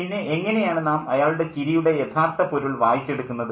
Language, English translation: Malayalam, How do we then read his laughter